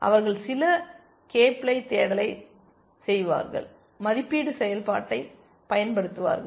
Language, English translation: Tamil, They will do some k ply search, apply the evaluation function